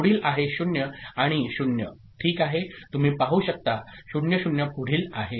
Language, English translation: Marathi, Next is next is 0 and 0 right, you can see 0 0